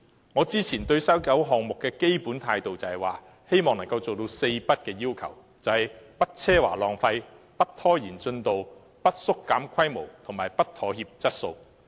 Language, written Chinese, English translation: Cantonese, 我之前對西九文化區項目的基本態度，是希望能夠做到"四不"：不奢華浪費、不拖延進度、不縮減規模及不妥協質素。, My basic attitude towards the WKCD project earlier was that I hoped it could achieve Four Nos No extravagance no progress delay no reduction in scale and no compromise of quality